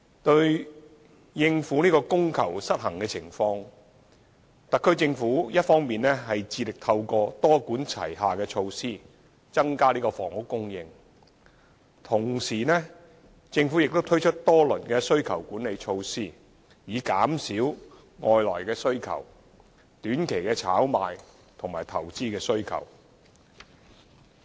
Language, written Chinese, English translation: Cantonese, 為應對供求失衡的情況，特區政府一方面致力透過多管齊下措施增加房屋供應；同時，政府亦推出多輪需求管理措施，以減少外來需求、短期炒賣需求和投資需求。, To address the demand - supply imbalance the Government has been striving to increase housing supply through multi - pronged measures . At the same time the Government has introduced several rounds of demand - side management measures to suppress external demand short - term speculations and investment demand